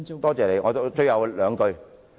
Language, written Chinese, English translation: Cantonese, 多謝你，我說最後兩句。, Thank you . I will just say a few more words in closing